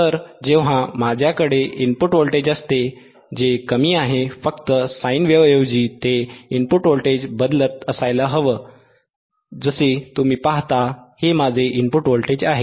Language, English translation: Marathi, So, when I have the input voltage, which is less, right instead of just a sine viewwave, if input voltage which is is varying in nature which is varying in nature like you see, this is my input voltage